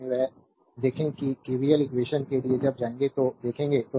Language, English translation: Hindi, Later when see when we will go for KVL equation we will see that, right